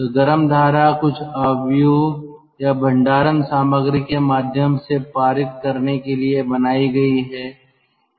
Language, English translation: Hindi, so the hot stream is made to pass through some matrix or storage material